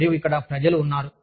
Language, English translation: Telugu, And, there are people here